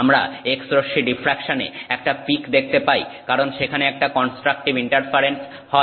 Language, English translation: Bengali, So the reason we see a peak in x ray diffraction is because there is constructive interference